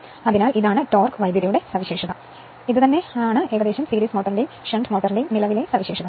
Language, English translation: Malayalam, So, this is the torque current character, your current characteristics of your series motor and shunt motor